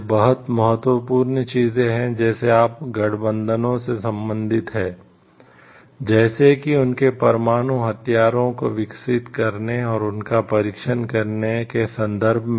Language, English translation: Hindi, These are very important things like would you related to the relation of the alliances, in terms of like developing of their nuclear weapons and testing them